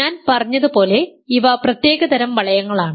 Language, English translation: Malayalam, So, these are special kinds of rings as I said